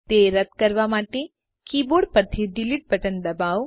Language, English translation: Gujarati, To delete it, press the delete button on the keyboard